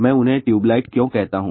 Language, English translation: Hindi, Why I call them tube light